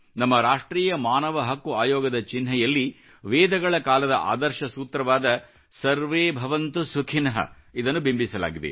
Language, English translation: Kannada, In the emblem of our National Human Rights Commission, the ideal mantra harking back to Vedic period "SarveBhavantuSukhinah" is inscribed